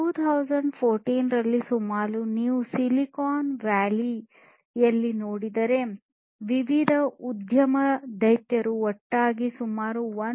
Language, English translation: Kannada, In 2014, if you look at in the Silicon Valley, the different industry giants together had a combined market of about 1